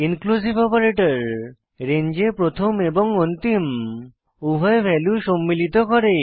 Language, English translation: Bengali, Inclusive operator includes both begin and end values in a range